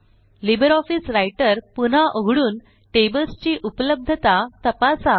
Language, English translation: Marathi, And reopen LibreOffice Writer to check the tables availability again